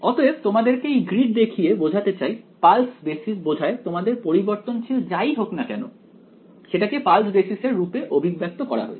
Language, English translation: Bengali, So, having shown you the grid over here pulse basis means whatever is the variable of interest is expressed in the pulse basis function